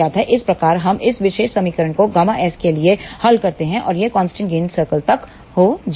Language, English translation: Hindi, So, we solve this particular equation for gamma s and that will lead to the constant gain circle